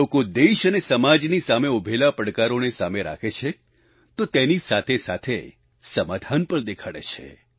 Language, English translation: Gujarati, People bring to the fore challenges facing the country and society; they also come out with solutions for the same